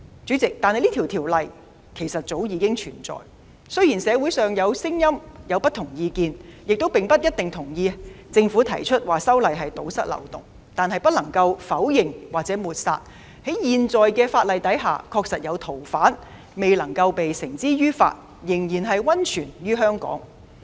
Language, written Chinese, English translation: Cantonese, 主席，這項條例早已存在，雖然社會上有不同意見，亦不一定贊同政府提出修例是為了堵塞漏洞，但不能否認或抹煞在現有法例下確實有逃犯未能繩之於法，仍然匿藏於香港。, President this Ordinance has long since existed . While members of the community hold divergent views and may not necessarily agree that the Government has introduced the legislative amendment for the purpose of plugging loopholes they cannot deny or rule out the possibility of fugitives at large still hiding in Hong Kong under the existing legislation